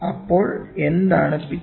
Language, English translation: Malayalam, So, what is pitch